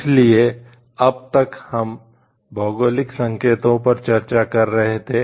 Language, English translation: Hindi, So, till now we were discussing till geographically indicators